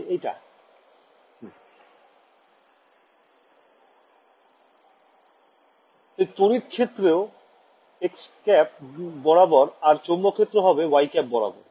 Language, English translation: Bengali, So, my as expected electric field is along x hat magnetic field is along y hat ok